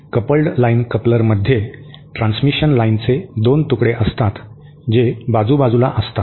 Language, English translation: Marathi, A coupled line coupler consists of 2 pieces of transmission line which are side by side